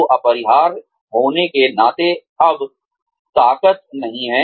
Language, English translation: Hindi, So, being indispensable is no longer a strength